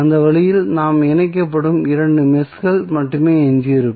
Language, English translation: Tamil, So, in that way we will be left with only two meshes which would be connected